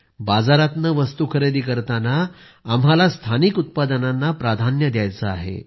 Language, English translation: Marathi, While purchasing items from the market, we have to accord priority to local products